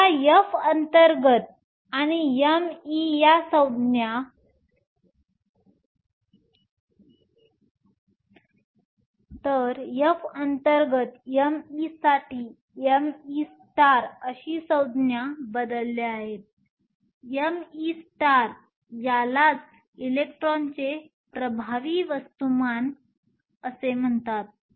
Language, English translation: Marathi, So, this F internal and m e are replaced by this term m e star; m e star is called the effective mass of the electron